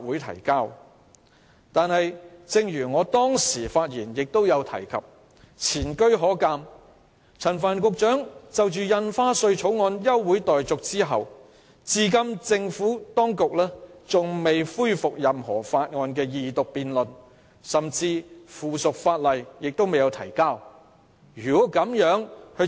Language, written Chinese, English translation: Cantonese, 然而，正如我先前發言指出，前車可鑒，陳帆局長就《2017年印花稅條例草案》動議休會待續議案後，政府當局至今仍未恢復任何法案的二讀辯論，甚至未有提交任何附屬法例。, After Secretary Frank CHAN moved to adjourn the debate on the Stamp Duty Amendment Bill 2017 the Administration has so far neither resumed the Second Reading debate of any bill nor submitted any subsidiary legislation